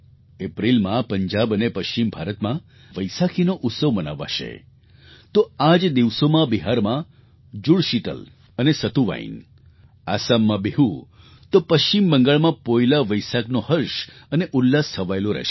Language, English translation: Gujarati, Vaisakhi will be celebrated in Punjab and in parts of western India in April; simultaneously, the twin festive connects of Jud Sheetal and Satuwain in Bihar, and Poila Vaisakh in West Bengal will envelop everyone with joy and delight